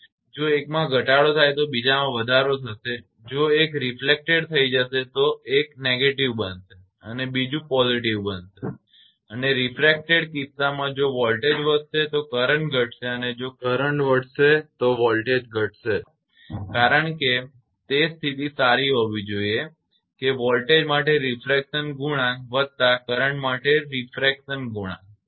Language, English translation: Gujarati, It is increasing whereas, the current in the case it is decreasing if one decrease another will increase if one become reflected also one become negative another will become positive and the refracted case if voltage increase current decrease if current increase voltage decrease, because that condition should hold good that refraction coefficient for voltage plus refraction coefficient for current must be equal to 2